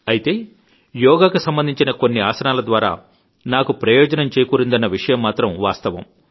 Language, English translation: Telugu, I do concede however, that some yogaasanaas have greatly benefited me